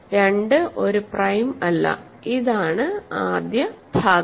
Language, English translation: Malayalam, Hence, 2 is not prime; so this is the first part